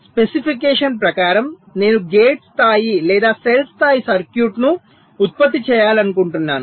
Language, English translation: Telugu, given a specification, i want to generate either a gate level or a cell level circuit